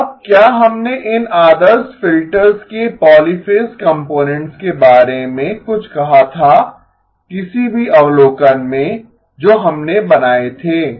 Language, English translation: Hindi, Now did we say something about the polyphase components of these ideal filters in any observation that we had made